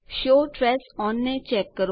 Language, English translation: Gujarati, check the show trace on